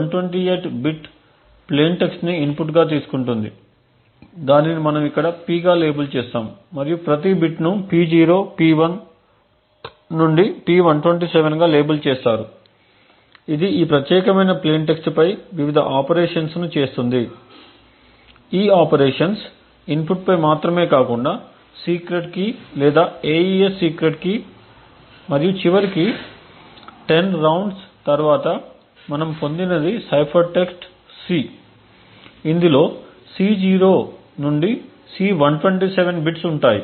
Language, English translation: Telugu, The AES takes 128 bit plain text as input which we label her as P and each bit is labelled P0 P1 to P127 it does various operations on this particular plain text, these operations not only depend on the input but also on the secret key or the AES secret key and eventually after 10 rounds what we obtained is the cipher text C which comprises of bits C0 to C127